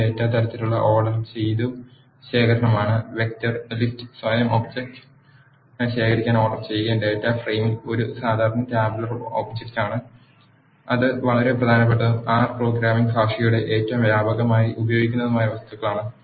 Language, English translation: Malayalam, A vector is an ordered collection of same data types, list is ordered collection of object themselves and data frame is a generic tabular object which is very important and the most widely used objects of R programming language